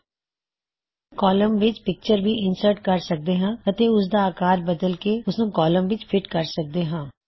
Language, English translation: Punjabi, You can even insert a picture in the column and resize it so that it fits into the column